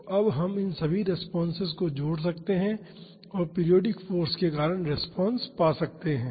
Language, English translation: Hindi, So, now, we can add all these responses and find the response due to the periodic force